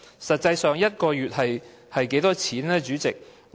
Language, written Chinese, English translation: Cantonese, 實際上 ，1 個月的金額是多少呢，主席？, In fact how much is a one - month payment President?